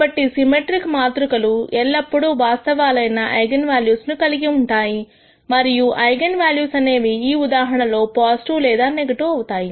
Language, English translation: Telugu, So, symmetric matrices always have real eigenvalues and the eigenvalues could be positive or negative in this case